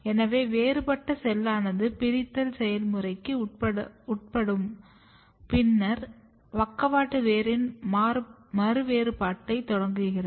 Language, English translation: Tamil, So, there is; so, differentiated cell undergo the process of dedifferentiation then start dividing and then start redifferentiation of the lateral root